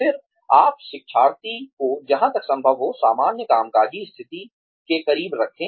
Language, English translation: Hindi, Then, you place the learner, as close to the normal working position, as possible